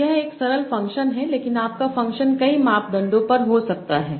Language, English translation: Hindi, But your function can be over multiple parameters